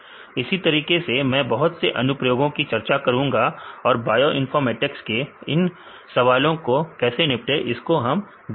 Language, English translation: Hindi, Likewise, I will discuss about various applications and how to handle these types of problems in bioinformatics